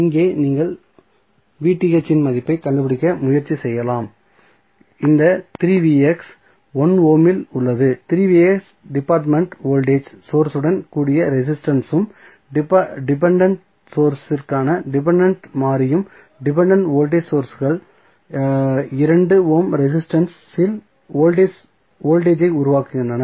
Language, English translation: Tamil, So, here you can just try to find out the value of Vth we are these 3 Vx is there in 1 ohm is the resistance along the 3 Vx dependent voltage source and the dependent variable for the depending source the dependent voltage sources the voltage across 2 ohm resistance